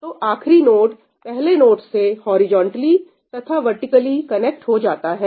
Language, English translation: Hindi, So, the last node gets connected to the first node, both horizontally and vertically